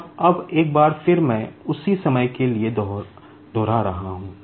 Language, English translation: Hindi, And now, once again, I am repeating for the same time